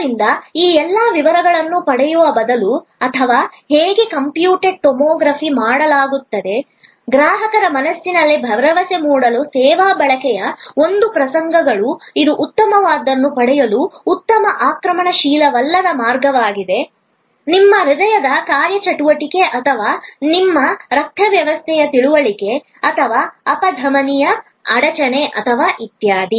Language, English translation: Kannada, So, there instead of getting into all those details or how computed tomography is done, you go in to case history, an episodes of service consumption to create the assurance in customers mind, that this is a good non invasive way of getting a good understanding of your hearts functioning or your blood system or if the arterial blockage or etc